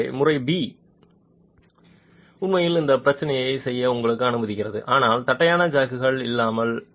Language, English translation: Tamil, So method B actually allows you to do this test but without the flat jacks